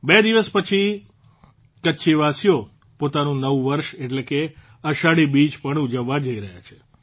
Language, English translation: Gujarati, Just a couple of days later, the people of Kutch are also going to celebrate their new year, that is, Ashadhi Beej